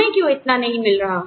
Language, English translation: Hindi, Why are we, not getting it